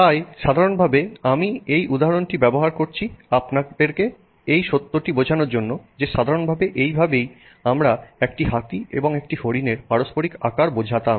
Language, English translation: Bengali, So, normally I am using this example to convey the fact that you know normally this is what we are used to, the relative size of the deer to that of the elephant